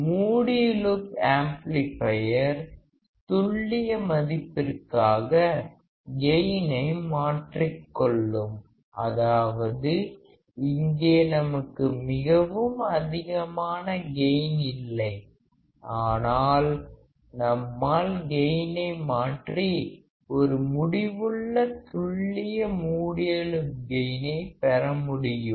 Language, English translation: Tamil, Close loop amplifier trades gain for accuracy; that means, that here we do not have extremely high gain, but we can change the gain and we can have finite, but accurate closed loop gain